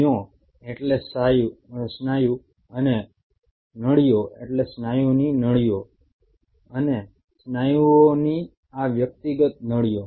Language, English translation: Gujarati, Mayo means muscle and tubes and tubes means tubes of muscle